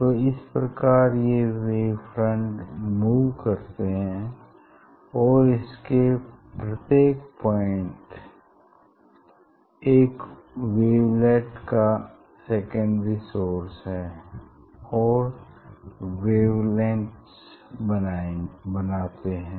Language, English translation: Hindi, on this wave front so each point will act as a secondary source and they will emit wavelets